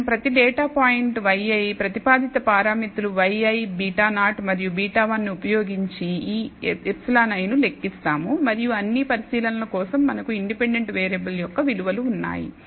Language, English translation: Telugu, So, we compute e i for every data point y i using the proposed parameters beta 0 and beta 1 and the value of the independent variables we have for all the observations